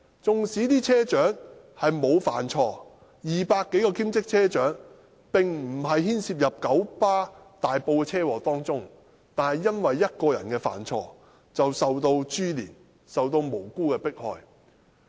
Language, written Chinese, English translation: Cantonese, 縱使200多位兼職車長沒有犯錯，並無牽涉在大埔的九巴車禍中，但只因為1個人犯了錯，便受到株連，遭到無辜迫害。, Even though the 200 - odd part - time bus captains did not do anything wrong and were not involved in KMBs traffic accident in Tai Po owing to a single persons fault they were incriminated and subjected to oppression despite their innocence